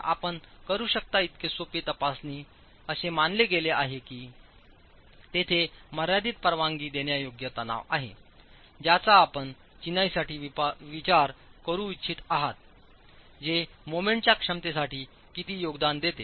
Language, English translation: Marathi, So simple checks that you can do is if you assume there is a finite tensile permissible tensile stress that you want to consider for the masonry, how much does that contribute to the moment capacity